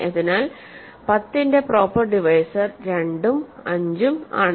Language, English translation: Malayalam, So, proper divisors of 10 are 2 and 5